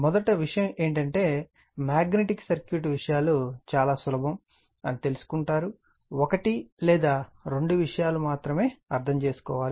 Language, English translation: Telugu, First thing is that magnetic circuit we will find things are very simple, only one or two things we have to understand